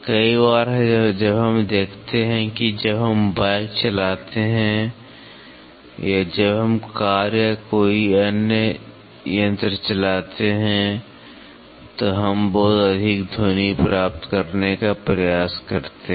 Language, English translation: Hindi, Many a times when we see when we drive a bike or when we drive a car or any other system we try to get lot of sound